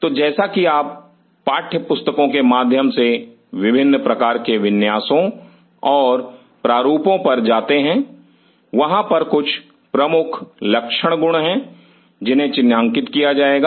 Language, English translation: Hindi, So, as you go through the text books about different kind of layouts and designs there are certain salient features which will be highlighted